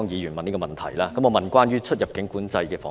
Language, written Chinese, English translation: Cantonese, 我會問關於出入境管制的防疫問題。, I will ask about prevention against the epidemic in respect of immigration control